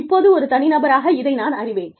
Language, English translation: Tamil, Now, I as an individual, know that, this is there